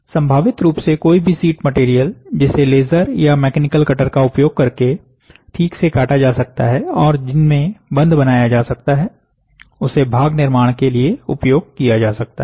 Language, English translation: Hindi, Potentially any sheet material that can be precisely cut using a laser or a mechanical cutter and that can be bonded can be utilized for the part construction